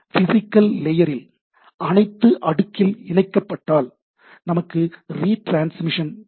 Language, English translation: Tamil, So, if at the physical layer, if all things are connected at the first layer, then we have lot of retransmission